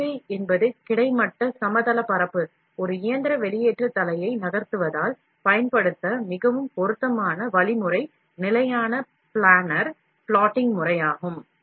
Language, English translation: Tamil, Since the requirement is move a mechanical extrusion head in the horizontal plane, then the most appropriate mechanism to be used, would be the standard planar plotting system